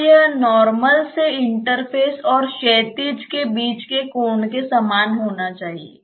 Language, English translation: Hindi, So, that should be same as the angle between the normal to the interface and the horizontal